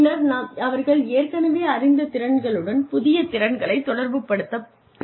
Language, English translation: Tamil, Then, they can relate to the existing skills, that they are familiar with